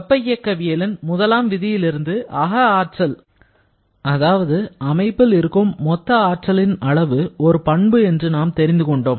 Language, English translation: Tamil, Now, from the first law of thermodynamics, we got the concept of internal energy or I should say total energy of a system is a property